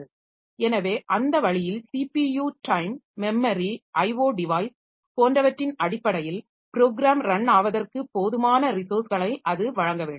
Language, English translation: Tamil, So, that way it has to give enough resources to the program for run in terms of memory, in terms of CPU time, in terms of I